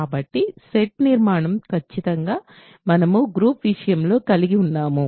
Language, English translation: Telugu, So, the construction of the set is exactly that we had in the case of groups